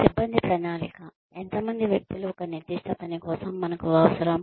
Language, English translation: Telugu, Personnel planning, how many people, do we need for a particular task